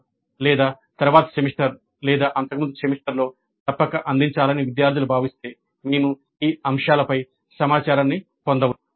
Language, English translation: Telugu, Or if the students feel that it must be offered in a later semester or earlier semester, we could get information on these aspects